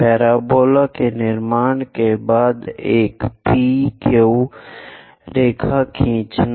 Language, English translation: Hindi, After constructing parabola, draw a P Q line